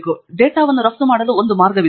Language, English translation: Kannada, So this is a way to export the data